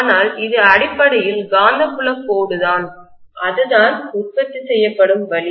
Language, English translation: Tamil, But this is essentially the magnetic field line that is the way it is produced